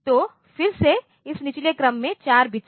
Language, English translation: Hindi, So, this lower order 4 bits